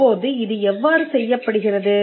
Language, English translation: Tamil, Now how is this done